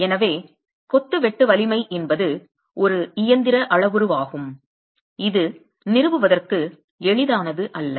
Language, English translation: Tamil, So the shear strength of masonry is a mechanical parameter that is not straightforward to establish